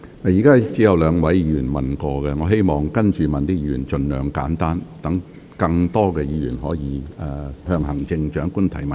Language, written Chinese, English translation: Cantonese, 目前只有兩位議員完成提問，請稍後提問的議員盡量精簡，讓更多議員可以向行政長官提問。, So far only two Members have asked their questions . When Members ask questions later on please be as concisely as possible so that more Members can put questions to the Chief Executive